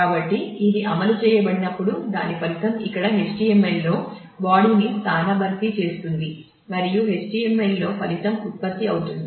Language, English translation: Telugu, So, when this is executed then whatever is a result will replace the body in the HTML here and the result in the HTML will get generated